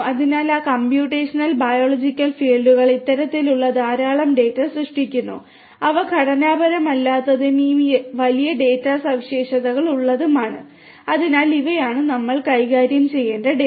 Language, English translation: Malayalam, So, those computational biological fields also generate lot of these kind of data which are unstructured and having this big data characteristics and so on these are the data that we have to be managed